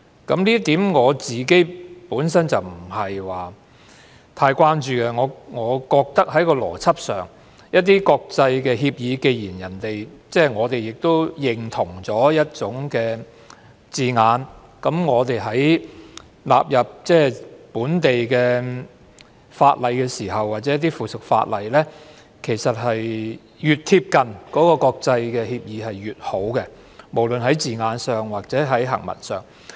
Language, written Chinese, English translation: Cantonese, 我對此本身不太關注，我覺得在邏輯上，既然我們已認同一些國際協議的字眼，那麼納入為本地法例或附屬法例的時候，其實越貼近國際協議便越好，無論是字眼上或行文上。, I am not that worried about this . Given that we already approved the terms adopted in some international agreements so in incorporating their terms into local legislation or subsidiary legislation the closer the terms or the drafting of our legislation to those international agreements the better